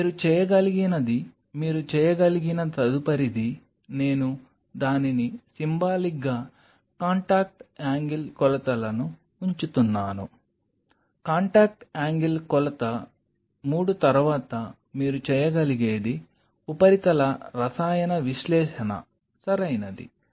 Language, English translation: Telugu, One next followed by that what you can do is you can do a, I am just putting it symbolically contact angle measurements, contact angle measurement 3 followed by that what you can do is surface chemical analysis right